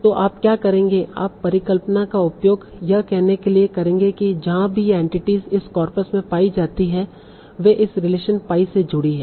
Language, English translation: Hindi, You will use the hypothesis to say that wherever these entities are found in this cop is, they are connected by this relation